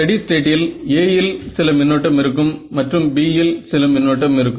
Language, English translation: Tamil, So, in the steady state there is going to be some current in A and some current in B right